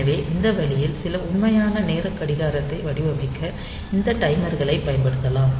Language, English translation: Tamil, So, this way we can use this timers for designing some real time clock